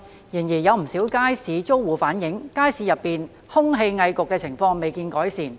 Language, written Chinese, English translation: Cantonese, 然而，有不少街市租戶反映，街市內空氣翳焗的情況未見改善。, However quite a number of the tenants of the market have relayed that there has been no improvement in respect of air stuffiness in the market